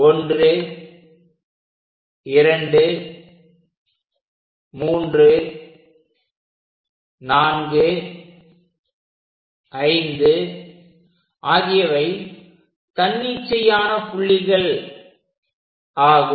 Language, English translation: Tamil, So, 1 2 3 4 5 6 equal divisions we have constructed